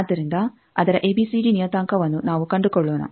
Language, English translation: Kannada, So, let us find its ABCD parameter